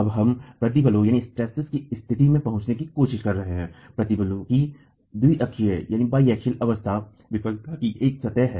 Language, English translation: Hindi, We are now trying to arrive at the state of stresses, the biaxial state of stresses, a failure surface